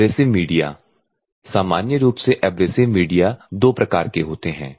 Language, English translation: Hindi, So, the abrasive media normally there are two types of abrasive media